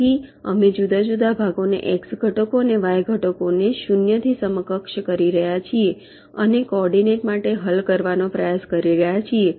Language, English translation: Gujarati, so we are separately equating the x components and y components of the force to a zero and trying to solve for the coordinate